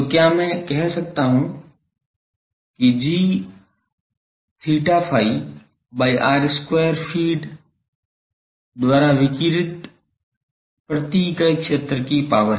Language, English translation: Hindi, So, can I say that g theta phi by r square is the power per unit area radiated by the feed